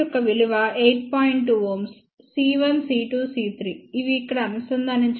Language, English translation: Telugu, 2 ohm c 1 c 2 c 3 which are connected over here